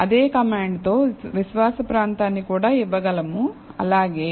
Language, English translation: Telugu, Now, with the same command, we can give the confidence region as well